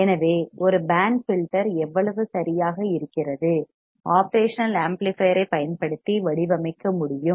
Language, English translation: Tamil, So, how exactly a band filter is, we can design using operation amplifier let us see it